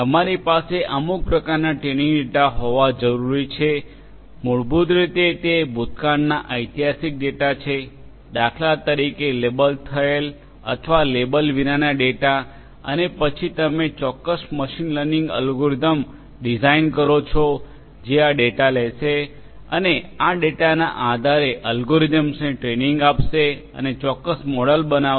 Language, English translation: Gujarati, You need some kind of training data this is basically the past historical data for instance which are labeled or unlabeled data and you design certain machine learning algorithms which will take this data, train the algorithms based on this data and will create certain models